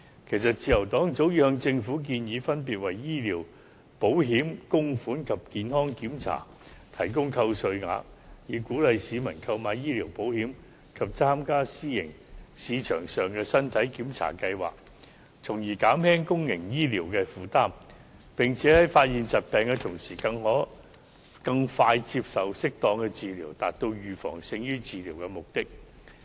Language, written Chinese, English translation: Cantonese, 其實，自由黨早已向政府建議，分別為醫療保險供款及健康檢查提供扣稅額，以鼓勵市民購買醫療保險及參加私營市場上的身體檢查計劃，從而減輕公營醫療的負擔，並在發現疾病的同時可更快接受適當治療，達到"預防勝於治療"的目的。, Actually the Liberal Party put forth a proposal to the Government long ago saying that it should offer tax deductions for medical insurance contributions and body checks as a means of encouraging people to take out medical insurance and participate in body check programmes on the private market so as to alleviate the burden on public health care and enable people to receive appropriate treatment more expeditiously after the detection of illnesses . All this can achieve the objective of prevention is better than cure